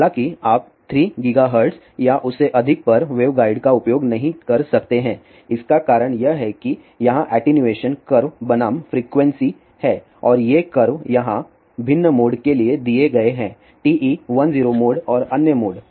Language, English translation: Hindi, However, you cannot use waveguide at 3 gigahertz or so, the reason for that this is here is the attenuation curve versus frequency and these curves are given for different mode here TE 10 mode and other mode